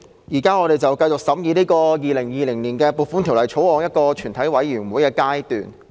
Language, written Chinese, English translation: Cantonese, 主席，我們現正繼續進行《2020年撥款條例草案》的全體委員會審議。, Chairman we are still in the session of consideration of the Appropriation Bill 2020 by committee of the whole Council